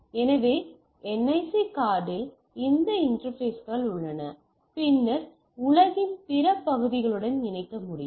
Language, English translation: Tamil, So, NIC card has those interfaces right and then you can connect to the rest of the world the physical connectivity will be there